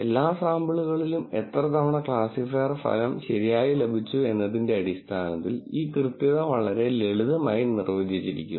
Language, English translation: Malayalam, So, this accuracy is very simply defined by, in all the samples how many times did the classifier get the result right